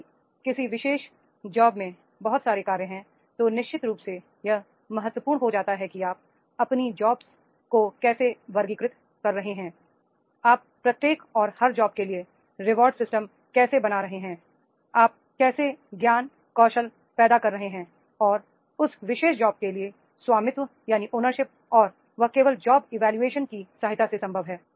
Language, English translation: Hindi, If so many jobs are there in a particular job, then definitely in that case it becomes important that is the how you are classifying their jobs, how you are making the reward system for the each and every job, how you are creating the knowledge, skill and ownership that for their particular job and that is only possible with the help of job evaluation